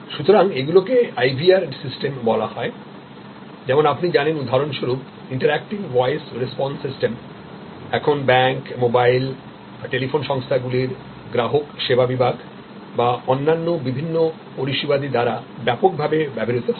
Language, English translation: Bengali, So, these are called IVR system as you know for example, Interactive Voice Response system widely use now by banks, by customer service departments of mobile, telephone companies or and various other services